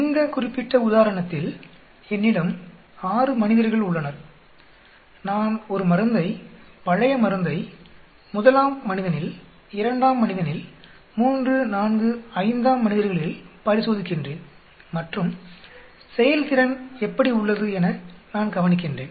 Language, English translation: Tamil, In this particular example, I have 6 subjects, I am testing drug, old drug on subject 1 and old drug on subject 2 old drug on subject 3, 4, 5, 6 and I look at the performance